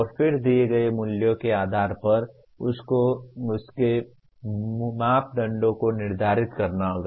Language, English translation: Hindi, And then based on the values given you have to determine the parameters of that